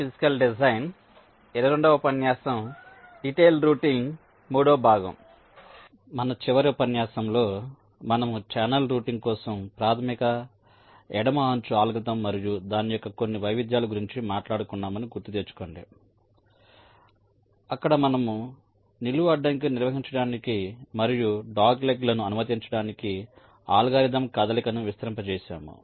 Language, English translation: Telugu, so in our last lecture, if we recall, we had talked about the basic left edge algorithm for channel routing and some of its variants, where we extended the algorithm move to handle the vertical constraint and also to allow for the dog legs